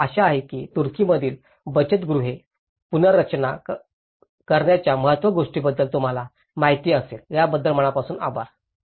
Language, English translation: Marathi, I hope you understand about the importance of the self help housing reconstruction in Turkey, thank you very much